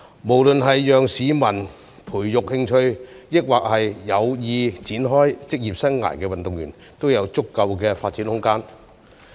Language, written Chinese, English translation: Cantonese, 無論是志在培養興趣的市民，還是有意展開職業生涯的運動員，都應該有足夠的發展空間。, Enough room should be given for people to develop interest in sports or grow as professional athletes